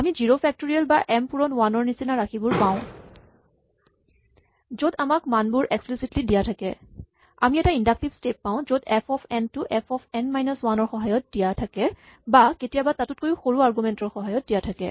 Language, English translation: Assamese, We have like 0 factorial or m times 1, where the values are given to us explicitly and then, we have an inductive step where f of n is defined in terms of f of n minus 1 and in general, it can be defined in terms of even more smaller arguments